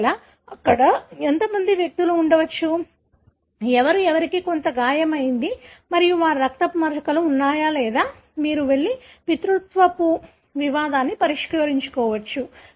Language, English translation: Telugu, If it is different how many individuals were likely to be there, who, who had some injury and their blood spots are there or you can go and solve a paternity dispute and so on